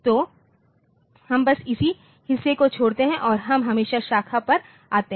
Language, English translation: Hindi, So, we just go to this just skip over the same part and we come to branch always over